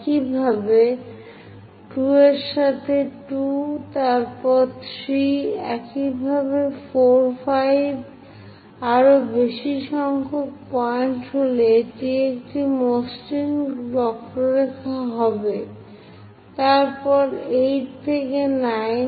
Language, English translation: Bengali, Similarly, 2 with the 2, then 3; similarly 4, 5, more number of points it will be smooth curve, then 8 and 9